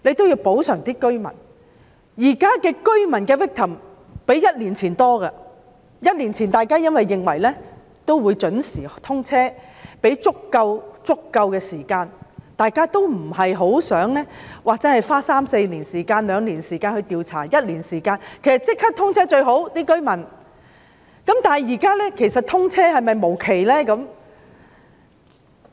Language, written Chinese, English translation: Cantonese, 現時受害居民的數目較一年前更多，在一年前，大家認為沙中線會準時通車，所以便給予足夠時間，大家都不希望花一兩年或三四年時間作調查，其實居民亦認為立即通車是最好的，那麼現時是否通車無期呢？, Now the number of victims is more than that of one year ago . A year ago we thought that SCL would be commissioned on schedule so we gave sufficient time to them as we did not hope to spend one to two or three to four years on conducting an inquiry . In fact the residents also believe that it is the best to commission service immediately